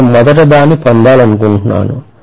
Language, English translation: Telugu, I want to first of all get that